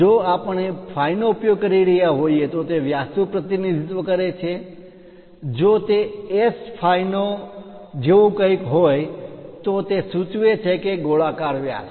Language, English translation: Gujarati, If we are using phi it represents diameter, if it is something like S phi its indicates that spherical diameter